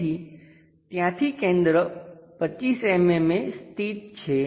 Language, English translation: Gujarati, So, from same center locate 25 mm